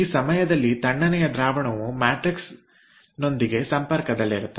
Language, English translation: Kannada, this is the time the cold fluid is in contact with the matrix